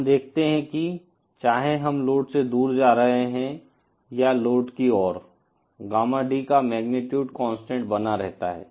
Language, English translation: Hindi, We see that whether we are moving away from the load or towards the load, the magnitude of Gamma D remains constant